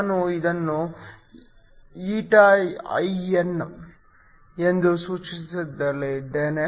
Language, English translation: Kannada, I am going to denote this as eta i n